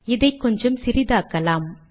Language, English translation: Tamil, Let me make this slightly smaller